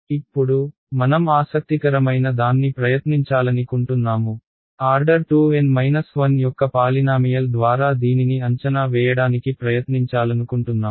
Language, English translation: Telugu, Now, we want to try something interesting, we want to try to approximate it by a polynomial of order 2 N minus 1